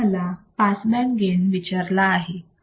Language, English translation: Marathi, Now, I am asked to find the bandpass gain